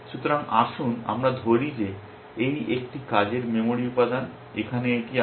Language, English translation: Bengali, So, let us say this is, this one of the working memory element is this here